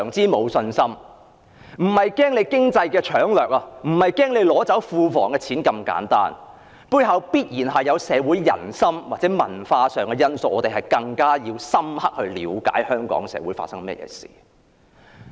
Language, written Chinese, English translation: Cantonese, 我們並非害怕經濟搶掠或害怕庫房的錢被取走，而是認為在背後必然存在社會人心或文化因素，所以我們必須更加深刻了解香港社會發生甚麼事情。, We are not afraid of economic looting or our public coffers being looted but we suspect that there must be certain factors relating to public sentiment or culture thus it is necessary for us to learn more about what is going on in our society